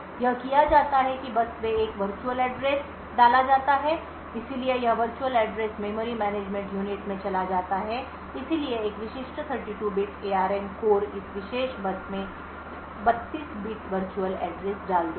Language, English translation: Hindi, What is done is that there is a virtual address put out on the bus so this virtual address goes into the memory management unit so a typical 32 bit ARM core would put out a 32 bit virtual address on this particular bus